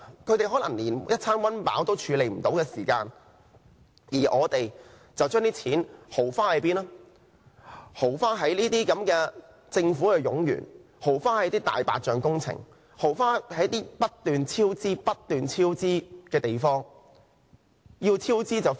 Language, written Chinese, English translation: Cantonese, 他們可能連一餐溫飽也沒有，而我們卻把錢豪花在這些政府冗員、"大白象"工程和不斷超支的項目上。, While they might be unable to afford a full meal we are spending the money on these redundant government staff white elephant projects and programmes plagued by constant cost overruns